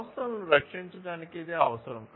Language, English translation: Telugu, It is required to protect the enterprises